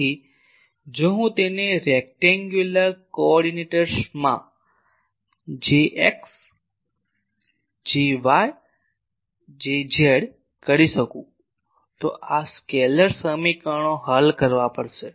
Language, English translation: Gujarati, So, if I can break it into in rectangular coordinates J x J y J z then I will have to solve these scalar equations